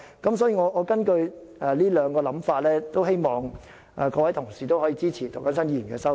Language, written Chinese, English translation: Cantonese, 因此，根據這兩種想法，我希望各位同事可以支持涂謹申議員的修正案。, Considering these two views I therefore urge Members to support Mr James TOs amendment